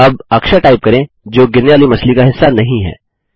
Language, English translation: Hindi, Now lets type a character that is not part of a falling fish